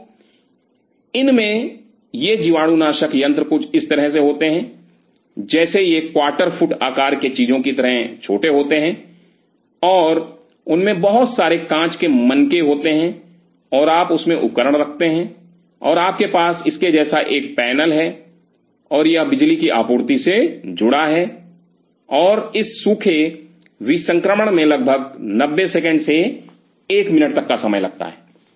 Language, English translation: Hindi, So, these have these are sterilizer something like this they are small like water feet stuff like this and there are lot of glass bead kind of a stuff in them and you keep the instruments in it and you have a panel like this, and it is connected to the power supply and this dry sterilization takes around 90 seconds to a minute